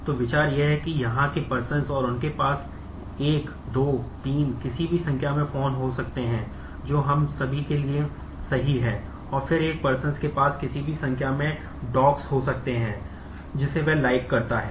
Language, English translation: Hindi, So, the idea is that the here persons and they can have 1, 2, 3 any number of phones, which is true for all of us and then a person may have any number of dogs that he or she likes